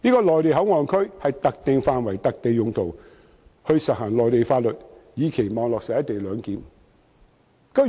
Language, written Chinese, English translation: Cantonese, 內地口岸區有特定的範圍和用途，執行內地法律，以期落實"一地兩檢"。, MPA maintains a specific area and serves specific purposes . Mainland laws are applied in MPA in order to implement the co - location arrangement